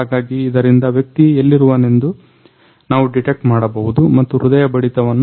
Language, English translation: Kannada, So, through this we can actually detect where the person is right now and what is his heart beat